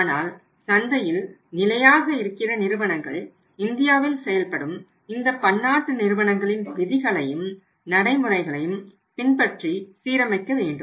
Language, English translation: Tamil, But the companies for sustaining in the market they also have to align with say the rules and practices of the multinational companies operating in India